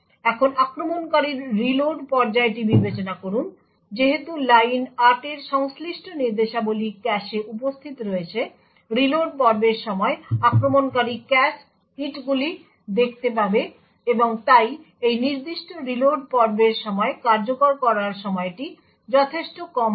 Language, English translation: Bengali, Now consider the attacker’s reload phase, since the instructions corresponding to line 8 are present in the cache the attacker during the reload phase would witness cache hits and therefore the execution time during this particular reload phase would be considerably shorter